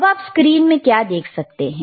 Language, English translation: Hindi, Now, what you see on the screen